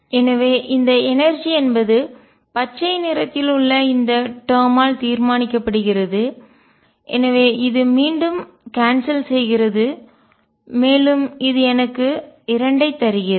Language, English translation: Tamil, So, the energy is determined by this term in green, so this cancels again this gives me 2